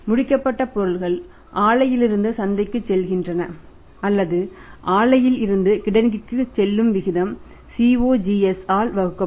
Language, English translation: Tamil, It gives an idea that finished goods are going from the plan to the market or its going from the plant to the warehouse ratio is finished goods inventory divided by the CUG